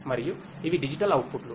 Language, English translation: Telugu, And these are the digital outputs